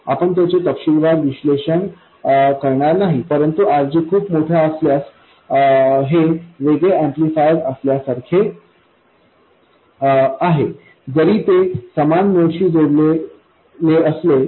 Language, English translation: Marathi, We won't analyze that in detail, but if RG is very large, it is like having separate amplifiers, although they are connected to the same node